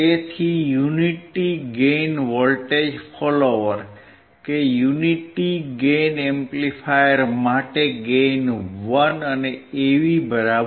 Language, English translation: Gujarati, So, unity gain voltage follower, Unity gain amplifier because the gain is 1, AV = 1